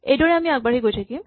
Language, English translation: Assamese, This way we just keep going on